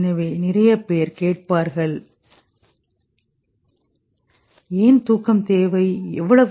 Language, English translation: Tamil, So, lot of people will ask why sleep required, how much